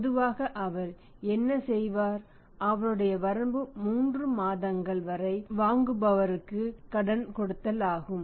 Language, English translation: Tamil, Normally what he will do that his limit is credit to his buyer up to 3 months